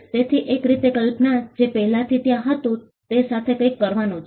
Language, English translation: Gujarati, So, in a way imagination had to do something with what was already there